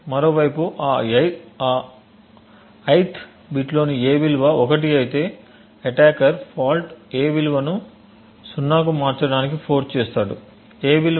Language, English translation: Telugu, On the other hand if the value of a in that ith bit was 1 the attackers fault would force the value of a to go to 0